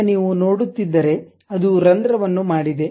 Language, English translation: Kannada, Now, if you are seeing it makes a hole ok